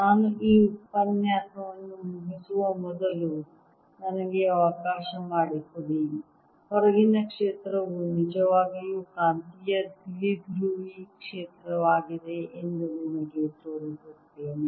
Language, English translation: Kannada, let me, before i finish this lecture, show you that outside field is really a magnetic dipole field